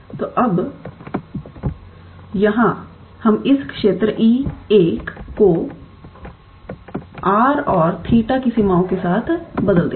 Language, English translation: Hindi, So, now here we will replace this region E 1 with the limits for r and theta